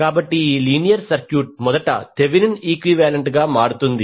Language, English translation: Telugu, So this linear circuit will first convert into Thevenin equivalent